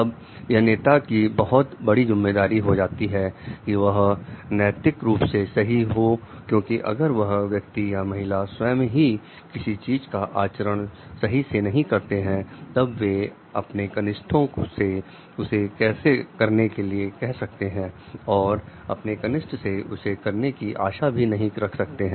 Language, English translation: Hindi, Then it is the very important responsibility of the leader to be on the correct of the ethical to be right from the ethical part, because if that person himself is or herself is not following something not doing something then he or she cannot tell the juniors to do it cannot expect the juniors to do it also